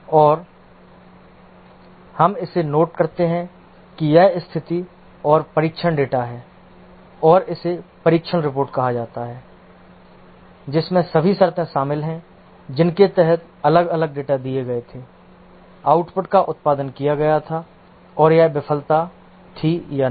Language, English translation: Hindi, And this we note it down the condition and the test data and this is called as the test report which contains all the conditions under which different data were given, the output produced and whether it was a failure or not